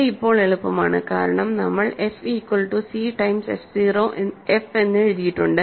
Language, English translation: Malayalam, This is now easy, right, because we have written f as c times f 0